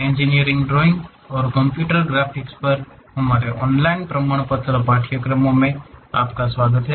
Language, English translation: Hindi, Welcome to our online certification courses on Engineering Drawing and Computer Graphics